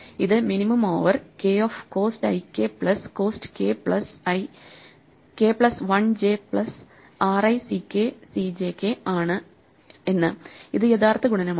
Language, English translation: Malayalam, We can then write out this cost i j equation saying the minimum over k of cost i k plus cost k plus 1 j plus r i c k c j which is the actual multiplication